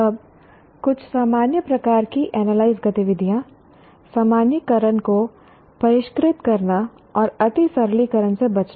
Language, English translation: Hindi, Now, some what do you call generic type of analyze activities, refining generalizations and avoiding oversimplification